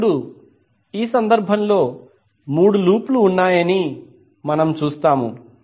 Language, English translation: Telugu, Now, in this case, we see there are three loops